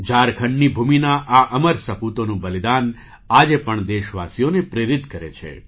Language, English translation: Gujarati, The supreme sacrifice of these immortal sons of the land of Jharkhand inspires the countrymen even today